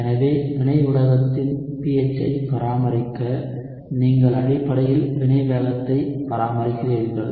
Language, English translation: Tamil, So to maintain the pH of the reaction medium you essentially are maintaining the reaction rate